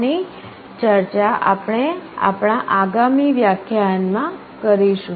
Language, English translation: Gujarati, This we shall be discussing in our next lecture